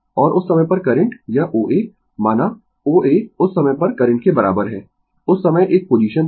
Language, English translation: Hindi, And at that time the current this O A, let O A is equal to at that time current a position was this time, right